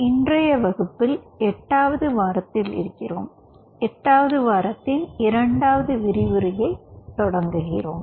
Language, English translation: Tamil, so in the last class we are into the eighth week, and, ah, we are starting our week eight, lecture two